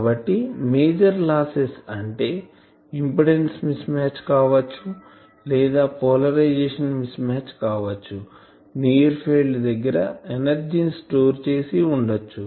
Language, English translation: Telugu, So, the main loss is in the there is there may be the impedance mismatch or polarization mismatch or in the near field , there may be storage of energy , so the radiation is not taking place etcetera